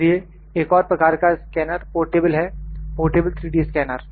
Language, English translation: Hindi, So, one more type of scanner is portable, portable 3D scanner